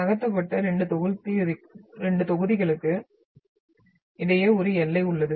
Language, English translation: Tamil, There is a boundary between the 2 blocks which have moved